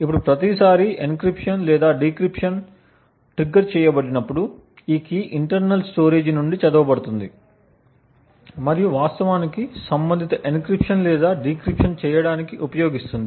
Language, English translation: Telugu, Now every time an encryption or a decryption gets triggered, this key is read from the internal storage and use to actually do the corresponding encryption or the decryption